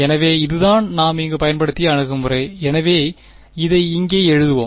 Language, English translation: Tamil, So, this is the approach that we used over here so let us write it over here